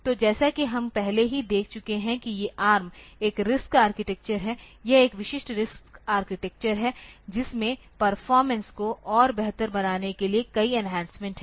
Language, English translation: Hindi, So, as we have already seen that these ARM is a RISC architecture it is a typical RISC architecture with several enhancements to improve the performance further